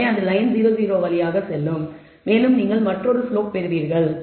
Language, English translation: Tamil, So, the line will pass through 0 0 and you will get another slope